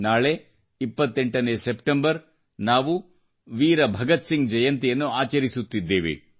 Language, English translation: Kannada, Tomorrow, the 28th of September, we will celebrate the birth anniversary of Shahid Veer Bhagat Singh